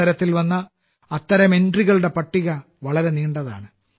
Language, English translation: Malayalam, The list of such entries that entered the competition is very long